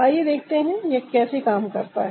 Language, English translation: Hindi, so let's see how it works